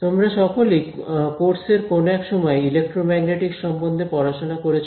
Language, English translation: Bengali, All of you have done Electromagnetics at some point in the course